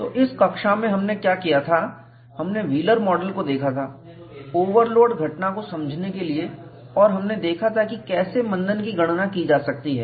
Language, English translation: Hindi, So, in this class, what we had done was, we had looked at Wheeler's model, to explain the overload phenomena